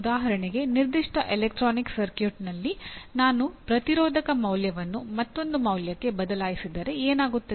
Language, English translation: Kannada, For example in a given electronic circuit you can say if I change the resistor value to another value what happens